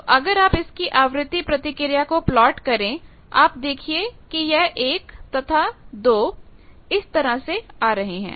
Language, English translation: Hindi, So, if you plot the frequency response you see 1 and 2 are coming like this